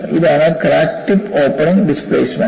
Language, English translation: Malayalam, This is crack tip opening displacement